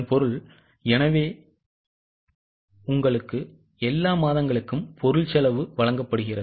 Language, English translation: Tamil, So, you have been given material cost for all the months